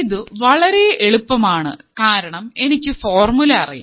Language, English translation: Malayalam, So, it is very easy because I know the formula